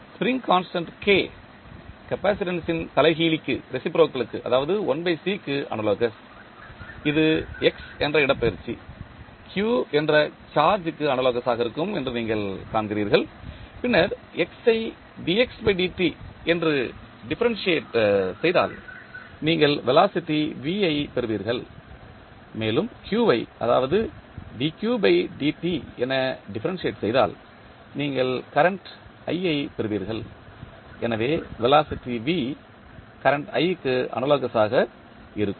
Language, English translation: Tamil, Spring constant K is analogous to reciprocal of capacitance that is 1 by C, displacement that is X, you see will be analogous to charge q and then if you differentiate X that is dx by dt, you will get velocity V and when you differentiate q that is dq by dt you will get current i, so velocity V is analogous to current i